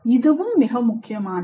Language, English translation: Tamil, That is also very important